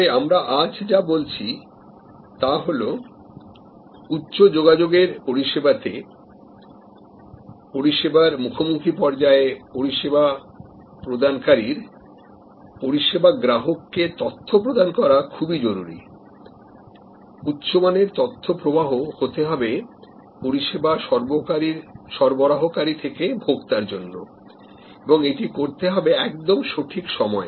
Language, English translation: Bengali, But, what we are saying today is that in the service encountered stage in the high contact service, there is a higher level of need for knowledge flow from the service provider to the service consumer, quality information flow from the provider to the consumer and it has to be at right points of time